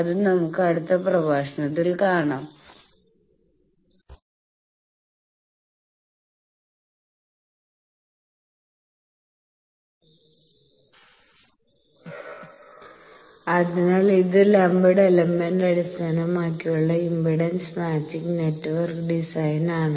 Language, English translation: Malayalam, So, that we will see in the next lecture So, this 1 is lumped element based impedance matching network design